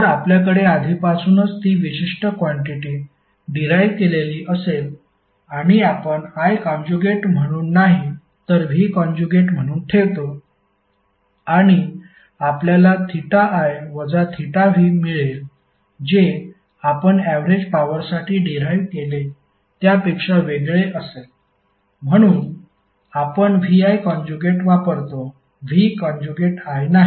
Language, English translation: Marathi, So since we already have that particular quantity derived if we put V as a conjugate and not I is a conjugate we will get this term as theta I minus theta v which would be contradictory to what we derived in previous case for the average power that why we use VI conjugate not V conjugate I